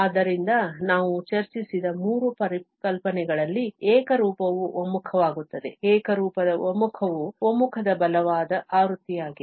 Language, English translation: Kannada, So, the uniform converges in the three notions what we have discussed, the uniform convergence is the stronger version of the convergence